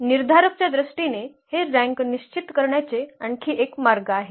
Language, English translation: Marathi, There is another way of determining this rank in terms of the determinant